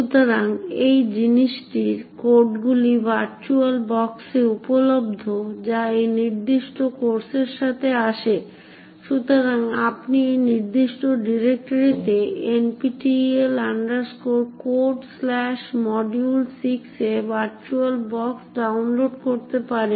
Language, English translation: Bengali, So the codes for this thing is available in the virtual box which comes along with this particular course, so you can download the virtual box look into this particular directory NPTEL Codes/module6